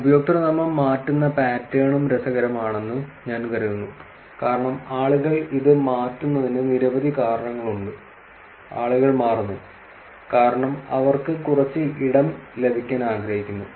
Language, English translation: Malayalam, I think the username changing pattern is also interesting because there are multiple reasons why people change it, people change, because they want to get some space